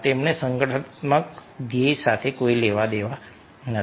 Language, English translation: Gujarati, they have nothing to do with the organizational group